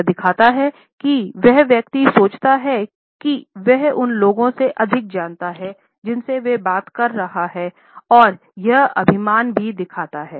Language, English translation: Hindi, It shows that the person thinks that he knows more than people he is talking to and it also shows arrogant attitude